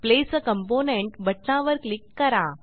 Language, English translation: Marathi, click on Place a component button